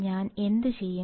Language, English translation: Malayalam, And what I will do